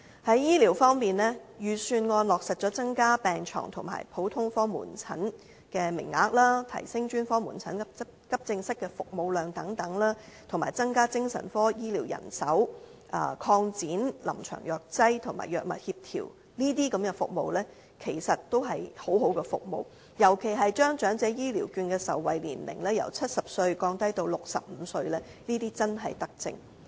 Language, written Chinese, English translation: Cantonese, 在醫療方面，預算案落實增加病床和普通科門診的名額，提升專科門診和急症室的服務量等，以及增加精神科醫療人手，擴展臨床藥劑和藥物協調等，這些均是一些十分好的服務，尤其是將長者醫療券的受惠年齡由70歲降低至65歲，這些真正是德政。, In terms of health care the Budget has confirmed the increase of hospital beds and the quota for general outpatient consultation the augmentation of the service capacity of specialist outpatient clinics and Accident and Emergency Departments the strengthening of psychiatric health care manpower as well as the expansion of clinical pharmacy and drug reconciliation and so on . These are all very good services especially the reduction of the eligibility age for the Elderly Health Care Vouchers from 70 to 65 . These are truly virtuous measures